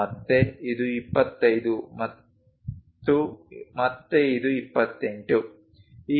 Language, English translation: Kannada, Again, this one is 25 and again this one 28